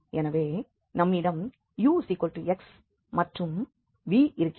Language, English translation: Tamil, So ux is 2 x and u vy is 0